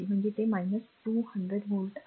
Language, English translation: Marathi, So, it is minus 200 volt , right